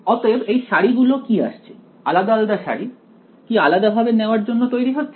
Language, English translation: Bengali, So, the rows, what are the rows coming by the different rows are being generated by choosing different what